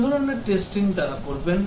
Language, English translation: Bengali, What sort of testing they do